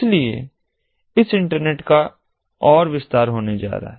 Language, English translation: Hindi, so this internet is going to be expanded further